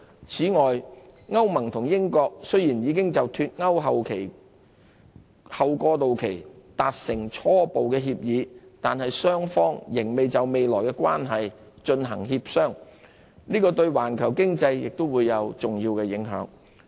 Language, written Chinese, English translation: Cantonese, 此外，歐盟與英國雖然已就"脫歐"後過渡期達成初步協議，但雙方仍要就未來的關係進行協商。這對環球經濟亦會有重要影響。, Meanwhile although the European Union and the United Kingdom have reached a preliminary agreement on a transitional period after Brexit both sides need to engage in further negotiations regarding their future relations with significant implications for the global economy